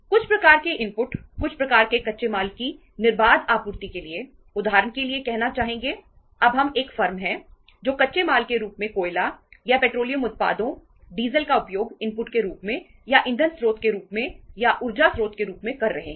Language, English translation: Hindi, To have uninterrupted supplies of certain kind of inputs certain kind of the raw materials we would like to have say for example now we are a firm which is using as a raw material say coal or we are using petroleum products, diesel as a as a input or as a uh source of fuel or source of energy